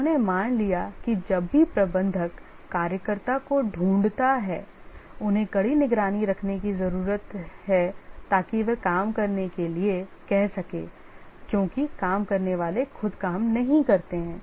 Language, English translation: Hindi, He assumed that whenever the manager finds the worker, he needs to coerce, monitor closely, ask them to do the work because the workers by themselves don't work